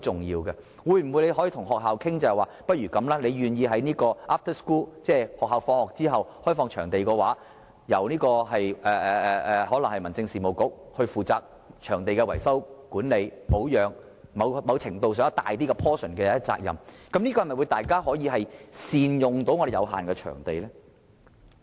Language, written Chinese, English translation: Cantonese, 如果學校願意在下課後開放場地，可以由例如民政事務局負責場地的維修、管理、保養等，在某程上負一個較大比重的責任，這樣大家便可以更好地善用我們有限的場地。, If schools are willing to so the Government such as the Home Affairs Bureau can take up greater responsibility for repair maintenance as well as management of the venues . This will enable the better use of our limited venues